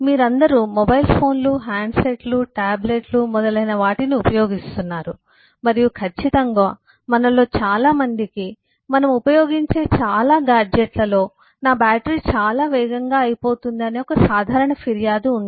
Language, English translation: Telugu, you are all using mobile phones, handsets, tablets and so on, and am sure one common complaint most of us have: for most of the gadgets that we use: I need my battery runs out very fast, irr